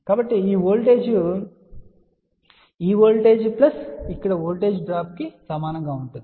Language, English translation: Telugu, So, that will be this voltage equal to this voltage drop plus this voltage over here